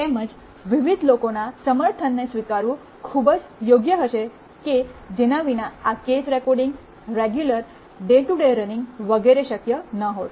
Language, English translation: Gujarati, Also it would be very proper to acknowledge the support of various people without which this course recording, the regular day to day running, etc